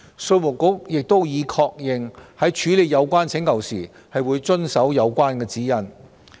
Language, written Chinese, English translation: Cantonese, 稅務局亦已確認，在處理有關請求時會遵守指引。, IRD has also confirmed relevant requests will be handled in adherence to such guidelines